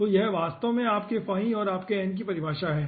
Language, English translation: Hindi, so this is actually, this is actually definition of your phi and your n